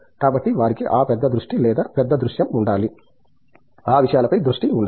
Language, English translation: Telugu, So, they should have that bigger vision or bigger view for, eye for those things